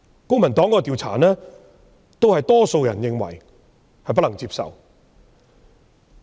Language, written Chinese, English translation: Cantonese, 公民黨進行的調查亦顯示，多數人認為計劃不能接受。, Similarly according to a survey conducted by the Civic Party most people found the project unacceptable